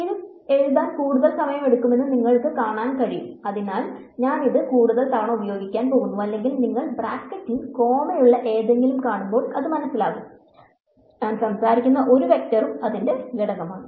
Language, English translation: Malayalam, You can see that this takes more time to write then this; so, I am going to use this more often or not it is understood when you see something with in brackets with commas it is a vector where I am talking about and its components